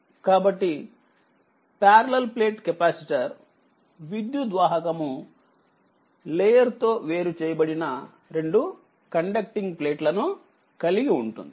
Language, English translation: Telugu, So, parallel plate capacitor consists of two conducting plates separated by dielectric layer right